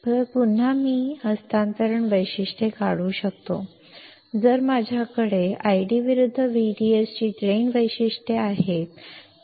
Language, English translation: Marathi, So again, I can draw the transfer characteristics, if I have or if I know the drain characteristics that is I D versus V D S